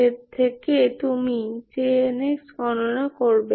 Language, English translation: Bengali, So from this, you calculate J n